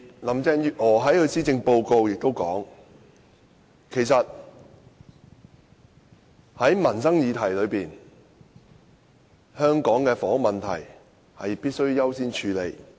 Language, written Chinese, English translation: Cantonese, 林鄭月娥也在其施政報告中說，在民生議題上，香港的房屋問題必須優先處理。, In her Policy Address Carrie LAM also says that among all the livelihood issues in Hong Kong the housing problem must be addressed on a priority basis